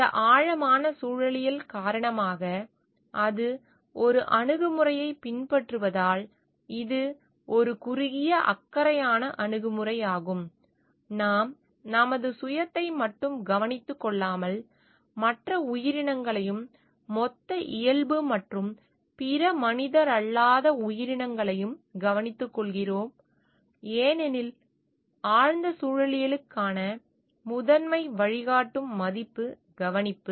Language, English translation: Tamil, Because of this eco deep ecology, because it is follows an approach; which is a short of caring approach, we care not only for our own self, but also we to care for other entities also the total nature and other non human entities because care is the primary guiding value for deep ecology